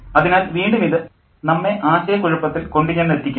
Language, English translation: Malayalam, So again it's confusing